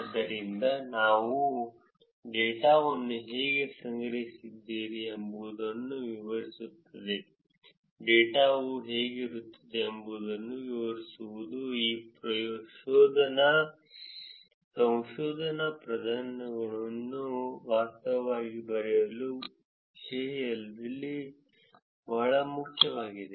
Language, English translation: Kannada, So, explaining how you did collected the data, explaining what the data looks like is extremely important in terms of actually writing these research papers